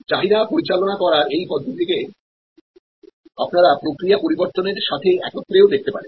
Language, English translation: Bengali, You can also look at this managing demand in combination with process changes